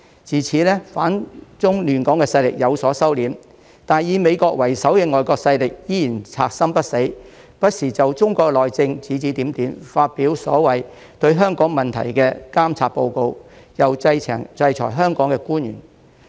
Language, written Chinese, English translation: Cantonese, 自此，反中亂港的勢力有所收斂，但以美國為首的外國勢力依然賊心不死，不時就中國內政指指點點，發表所謂對香港問題的監察報告，又制裁香港官員。, Since then the anti - China forces have been restrained but foreign forces led by the United States are persistent in making ill - intentioned criticisms from time to time on Chinas internal affairs . They have published the so - called monitoring reports on Hong Kongs issues and sanctioned certain Hong Kong officials